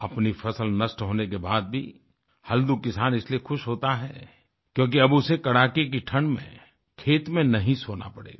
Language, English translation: Hindi, Halku the farmer is happy even after his crops are destroyed by frost, because now he will not be forced to sleep in his fields in the cold winter